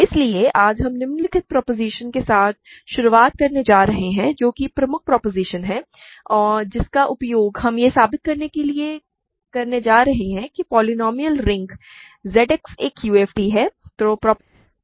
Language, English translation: Hindi, So, today we are going to start with the following proposition which is the key proposition that we are going to use to prove that the polynomial ring Z X is a UFD